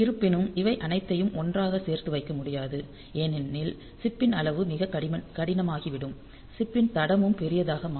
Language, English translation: Tamil, However so you cannot put the resources to a very large value otherwise the size of the chip will become very hard very large the footprint of the chip will become large